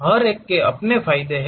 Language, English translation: Hindi, Each one has its own advantages